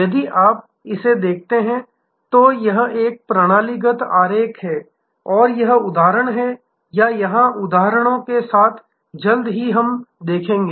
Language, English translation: Hindi, If you look at this, this is a systemic diagram and we will see it is instances or here with the examples soon